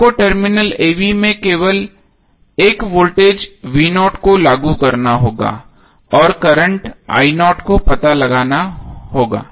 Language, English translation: Hindi, You have to simply apply one voltage vo at the terminal a b and determine the current io